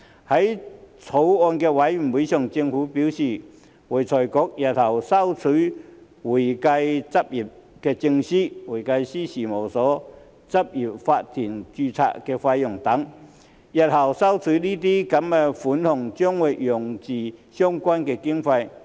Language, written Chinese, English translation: Cantonese, 在法案委員會上，政府表示會財局日後會收取會計執業證書、會計師事務所及執業法團註冊費等，日後收取的這些款項將會用作相關經費。, In the Bills Committee the Government indicated that in the future AFRC would collect the fees for practising certificates and registration of firms and corporate practices and that the money collected would be used for future funding concerned